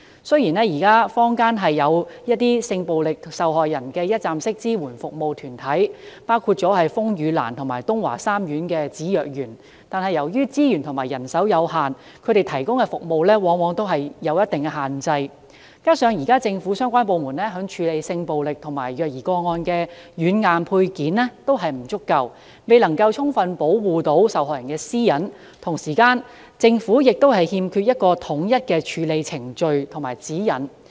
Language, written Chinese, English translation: Cantonese, 雖然現在坊間有一些性暴力受害人的一站式支援服務團體，包括風雨蘭及東華三院芷若園，但由於資源和人手有限，他們提供的服務往往有一定的限制，而且現時政府相關部門處理性暴力和虐兒個案的軟硬配件均不足夠，未能充分保護受害人的私隱，政府亦欠缺統一的處理程序和指引。, Although some community organizations including RainLily and CEASE Crisis Centre under the Tung Wah Group of Hospitals are now rendering one - stop support services to sexual violence victims the services provided are subject to certain restrictions due to limited resources and manpower . Moreover not enough software and hardware support is available in the relevant government departments for handling sexual violence and child abuse cases . Due protection is therefore not accorded to the privacy of victims